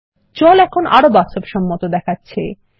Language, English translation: Bengali, The water looks more realistic now